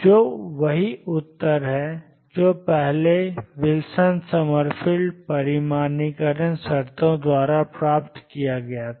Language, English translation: Hindi, Which is the same answer as obtained earlier by Wilson Summerfield quantization conditions